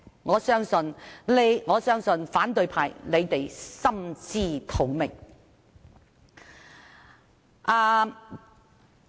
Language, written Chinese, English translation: Cantonese, 我相信反對派心知肚明。, I believe the opposition Members know too well